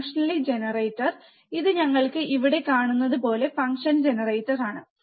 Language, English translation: Malayalam, To the function generator, this is the function generator, like you can see here